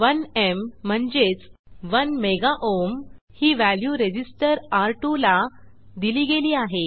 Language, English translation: Marathi, As you can see 1M (i.e., 1 mega ohm) value is assigned to the resistor R2